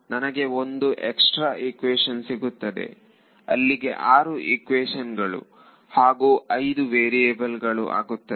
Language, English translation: Kannada, So, I will get one extra equation I will get six equation and five variable